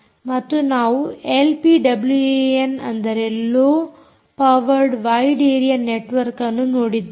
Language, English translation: Kannada, then we looked at l p wan right, low powered wide area networks